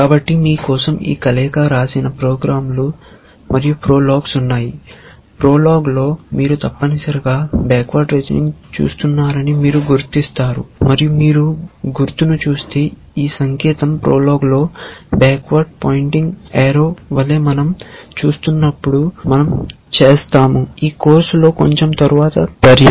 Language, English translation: Telugu, So, this combination for those of you have written programs and prologs you would recognize that in prolog you are doing essentially backward reasoning and if you view the sign, this sign in prolog as in backward pointing arrow which we will do when we look at logic a little bit later in this course